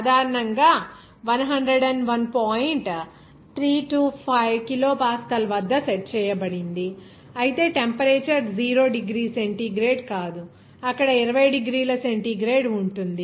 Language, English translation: Telugu, 325 kilopascal, but the temperature will not be 0 degree centigrade, whereas it will be 20 degrees centigrade there